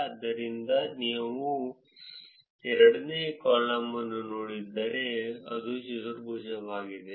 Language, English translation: Kannada, So, if you look at the second column, which is Foursquare